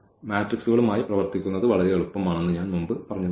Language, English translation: Malayalam, So, again this working with the matrices are much easier